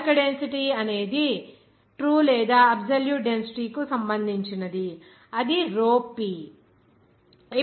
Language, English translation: Telugu, The bulk density is related to the true or absolute density that is rho p